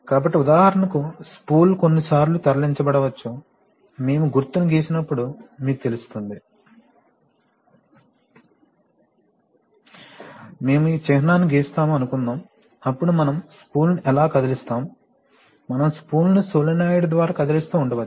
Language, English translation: Telugu, So, for example the spool may be moved sometimes, you know when we draw the symbol, suppose we draw this symbol, then how do we move the spool, we may be moving the spool by a solenoid, okay